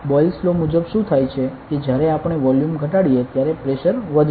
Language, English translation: Gujarati, According to Boyle’s law what happens is when we decrease volume pressure will increase ok